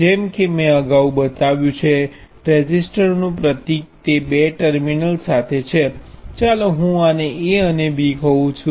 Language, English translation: Gujarati, As I showed earlier the symbol for a resistor is this with two terminals; let me call this A and B